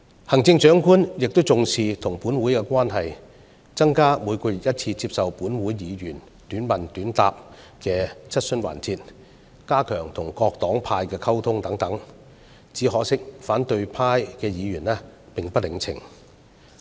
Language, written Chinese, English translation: Cantonese, 行政長官也重視與本會的關係，增加每月1次接受本會議員短問短答的質詢時間，加強與各黨派的溝通等，只可惜反對派議員並不領情。, The Chief Executive also attaches great importance to the relationship with this Council attends the Question Time on a monthly basis to answer Members questions in a short question short answer format and strengthens the communication with various political parties and groupings . Unfortunately the opposition camp does not appreciate her efforts at all